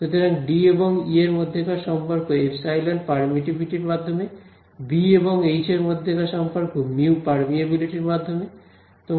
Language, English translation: Bengali, So, the relation between D and E is in terms of epsilon permittivity right, relation between B and H is in terms of mu permeability ok